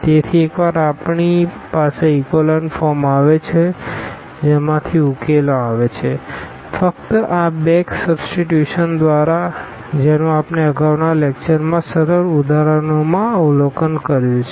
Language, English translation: Gujarati, So, once we have the echelon form getting the solution from the echelon form was just through this back substitution which we have observed in simple examples in previous lecture